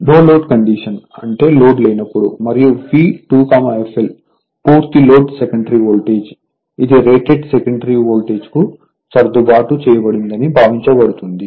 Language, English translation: Telugu, That means, when load is not there say no load condition right and V 2 f l is full load secondary voltage, it is assumed to be adjusted to the rated secondary voltage right